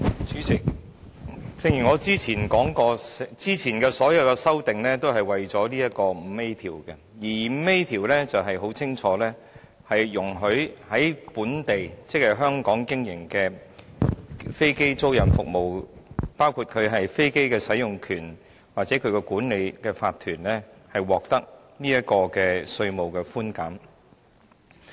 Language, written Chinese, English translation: Cantonese, 主席，正如我早前所說，早前所有修訂都是涉及《2017年稅務條例草案》的第 5A 條，該條很清楚是容許在本地經營的飛機租賃服務，包括飛機使用權或管理法團獲得稅務寬減。, Chairman as I have said earlier all the earlier amendments are related to clause 5A of the Inland Revenue Amendment No . 2 Bill 2017 the Bill . It is clearly stipulated in the clause that the locally operated aircraft leasing services including the business of granting a right to use an aircraft or the business of managing a corporation will be eligible for tax concessions